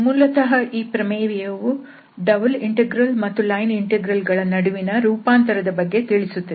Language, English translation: Kannada, Basically, this theorem tells about the transformation between double integrals and line integrals